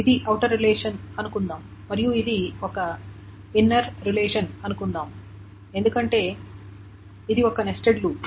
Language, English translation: Telugu, So, suppose this is the outer relation, because this is a nested loop